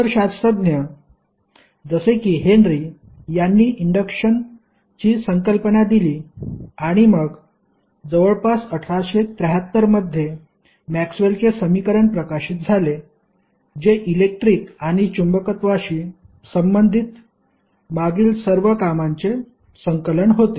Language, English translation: Marathi, Other scientists like Henry gave the concept of electricity, induction and then later on, in the in the 19th century around 1873, the concept of Maxwell equation which was the compilation of all the previous works related to electricity and magnetism